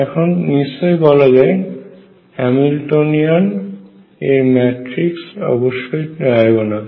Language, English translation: Bengali, Now the matrix for the Hamiltonian is also diagonal right